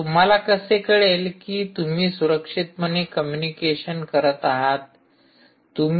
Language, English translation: Marathi, and how do you know whether you are doing secure communication